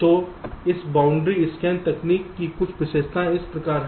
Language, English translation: Hindi, these are the so called boundary scan cells